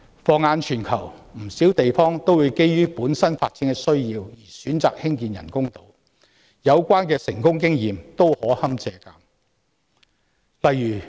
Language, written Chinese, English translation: Cantonese, 放眼全球，不少地方會基於本身發展的需要而選擇興建人工島，有關的成功經驗均可堪借鑒。, In the global context many places out of their own developmental needs have chosen to build artificial islands and their experiences of success can be good reference for us